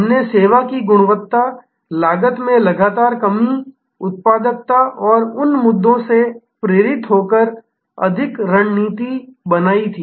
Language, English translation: Hindi, We had taken more strategy driven by the quality of service, relentless lowering of cost, productivity and those issues